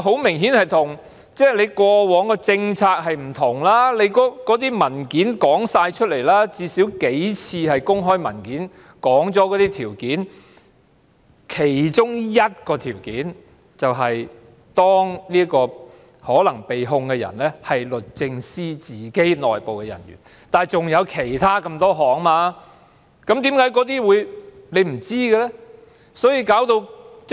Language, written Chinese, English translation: Cantonese, 明顯地，這與過往的政策做法不同，最低限度，也有數份公開文件指出了相關情況，其中一個情況，是當這名可能被控人士是律政司的內部人員，但仍然有其他數個情況，為何她不清楚呢？, It is apparent that this approach is at odds with the past policy . There are at least a few public documents highlighting the circumstances concerned one of which is that the person who may be prosecuted is a member of DoJ but there are still a few other circumstances . Why is she unclear about them?